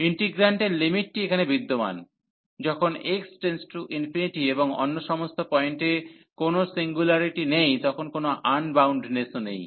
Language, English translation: Bengali, So, the limit here of the integrant exist, when x approaches to 0 and at all other point there is no singularity is there is no unboundedness